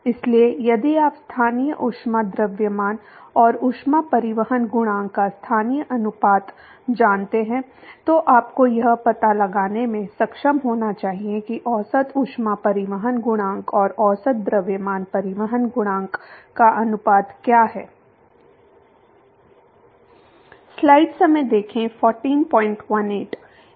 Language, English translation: Hindi, So, if you know the local ratio of the local heat mass and heat transport coefficient, you should be able to find out what is the ratio of average heat transport coefficient and average mass transport coefficient